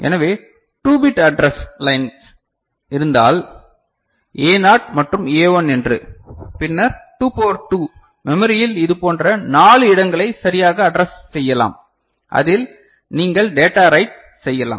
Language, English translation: Tamil, So, if there is a 2 bit address line say A naught and A1, then 2 to the power 2, 4 such places in the memory can be addressed right and in that you can write data, right